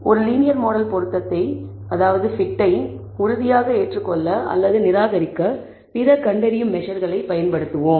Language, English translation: Tamil, We will use other diagnostic measure to conclusively accept or reject a linear model fit